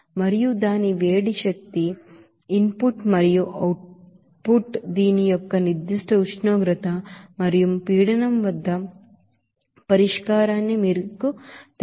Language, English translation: Telugu, And its heat energy input and output to make this you know solution at its particular condition of temperature and pressure